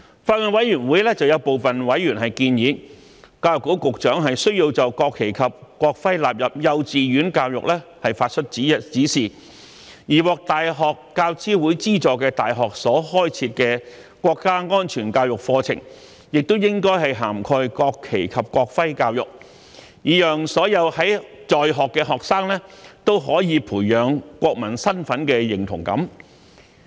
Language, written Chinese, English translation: Cantonese, 法案委員會有部分委員建議，教育局局長需要就將國旗及國徽納入幼稚園教育發出指示，而獲大學教育資助委員會資助的大學所開設的國家安全教育課程，亦應涵蓋國旗及國徽教育，以讓所有在學學生都可以培養國民身份認同感。, Some of the Bills Committee members have proposed that the Secretary for Education should give directions for the inclusion of the national flag and national emblem in kindergarten education and that education on the national flag and national emblem should also be covered in the national security education courses run by the universities funded by the University Grants Committee so as to enable all students to develop the sense of national identity